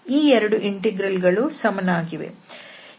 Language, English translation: Kannada, So, these 2 integrals are equal